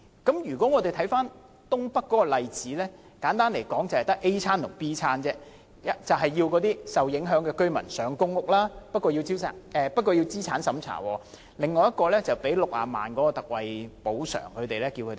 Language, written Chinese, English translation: Cantonese, 看回東北的例子，簡單來說，賠償和搬遷計劃只有 "A 餐"和 "B 餐"，即安排受影響居民入住公屋，不過要先經過資產審查，或給予60萬元特惠補償，然後要他們搬遷。, Returning to the example of NENT simply put the compensation and relocation programme only offers set A or set B meaning affected residents will be arranged to move into PRH flats but only after passing a means test or they are each given ex - gratia compensation of 600,000 and then told to move